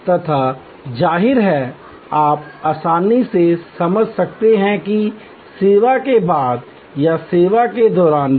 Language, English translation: Hindi, And; obviously, you can easily understand that after the service or even during the service